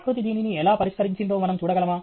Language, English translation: Telugu, Can we look at how nature might have solved this